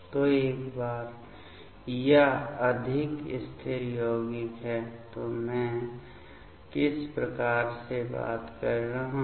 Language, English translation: Hindi, So, once this is more stable compound; so what I am talking about